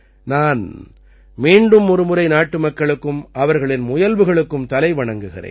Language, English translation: Tamil, I once again salute the countrymen for their efforts